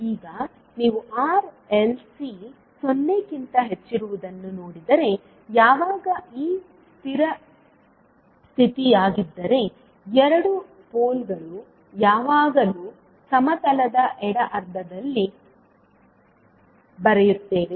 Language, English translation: Kannada, Now if you see that the R, L, C is greater than 0, when, if this is the condition the 2 poles will always write in the left half of the plane